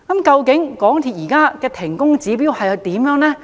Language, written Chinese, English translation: Cantonese, 究竟港鐵公司現時的停工指標為何？, On basis what indicators does MTRCL request works to be suspended?